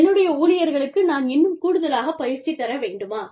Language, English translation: Tamil, Do i need, to administer more training, to my staff